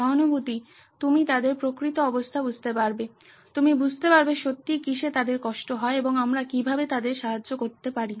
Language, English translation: Bengali, Empathise, you get into their shoes, you get into what is really bothering them and how we can help them